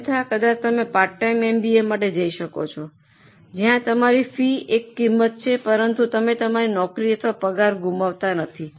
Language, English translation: Gujarati, Otherwise, maybe you can go for a part time MBA where your fees is a cost but you are not losing on your job or on your salary